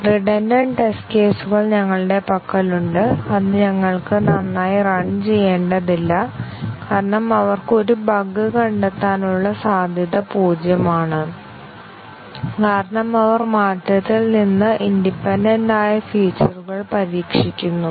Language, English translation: Malayalam, Then we have the redundant test cases which we need not as well run because they have zero chance of detecting a bug because they test the features which are truly independent of the change